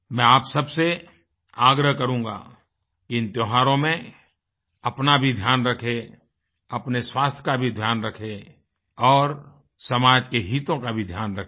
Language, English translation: Hindi, I would request all of you to take best care of yourselves and take care of your health as well and also take care of social interests